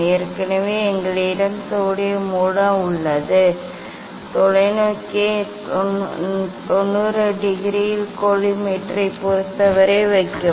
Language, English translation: Tamil, already we have sodium source Place the telescope at 90 degree with respect to the collimator